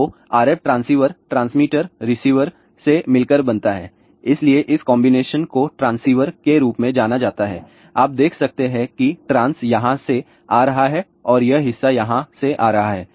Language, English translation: Hindi, So, RF transceiver consist of transmitter, receiver so, the combination of this is known as transceiver; you can see that trans coming from here and this part is coming from here, ok